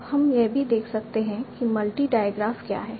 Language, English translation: Hindi, Now we can also see what is a multi diograph